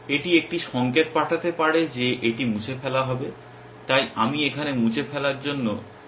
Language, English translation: Bengali, It might send a signal that this is to be deleted, so I will use minus sign for deletion here